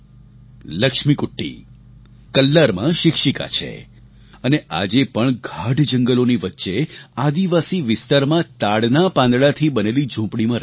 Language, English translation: Gujarati, Laxmikutty is a teacher in Kallar and still resides in a hut made of palm leaves in a tribal tract amidst dense forests